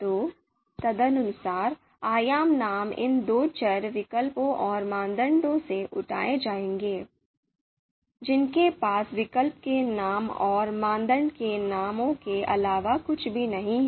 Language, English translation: Hindi, So appropriately dimension names would be picked up from these two variables, alternatives and criteria, which have nothing but the names of alternatives and names of criteria